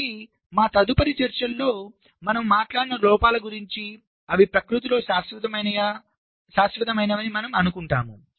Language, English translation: Telugu, ok, so the the kind of faults that we talked about in our subsequent ah discussions, we will be assuming that there are permanent in nature